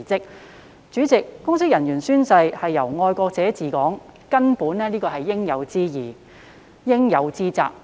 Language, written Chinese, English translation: Cantonese, 代理主席，公職人員宣誓以"愛國者治港"原則為根本，這是應有之義、應有之責。, Deputy President the principle of patriots administering Hong Kong is the core of oath - taking by public officers who have the obligation and duty to take oath